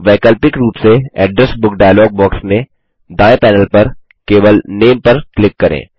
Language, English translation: Hindi, Alternately, in the Address Book dialog box, from the right panel, simply click on Name